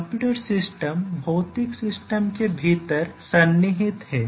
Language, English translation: Hindi, So, the computer system is embedded within the physical system